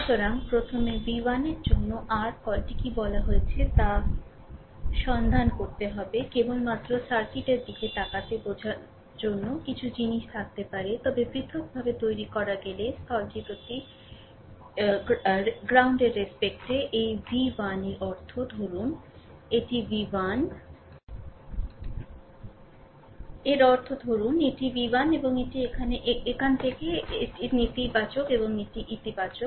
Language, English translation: Bengali, So, first we have to find out the your what we call expression for v 1, just for your understanding looking at the circuit you may have some kind of thing, but ah if I if I make it separately actually this v 1 with respect to the ground; that means, ah suppose this is my v 1 and it is from here to here it is from here to here right this is neg ah this is negative and this is your positive right